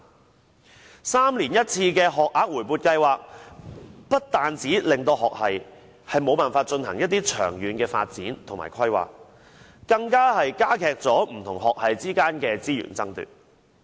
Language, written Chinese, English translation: Cantonese, 每3年1次的學額回撥計劃，不單令學系無法進行長遠發展和規劃，更加劇不同學系之間的資源爭奪。, The triennial competitive allocation has prevented university faculties from making long - term development and planning and also intensified resources competition among them